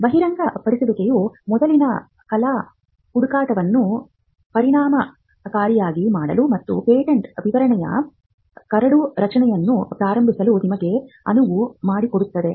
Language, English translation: Kannada, A disclosure that will enable you to do a prior art search effectively, and to start the drafting of the patent specification itself